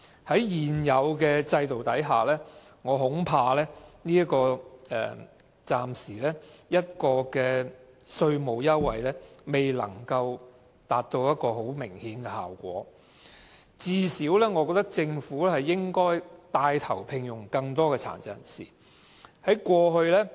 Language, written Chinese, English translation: Cantonese, 在現有制度下，我恐怕這項稅務優惠暫時未能取得明顯的效果，我認為政府最少應該牽帶聘用更多殘疾人士。, Under the existing system however I am afraid that the present tax incentives may not be able to achieve any notable effect for the time being . In my opinion the Government should at least take the initiative to employ more PWDs